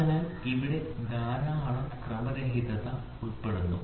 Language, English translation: Malayalam, So, here there is lot of randomness involved